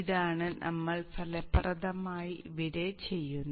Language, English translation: Malayalam, This is effectively what that we are doing here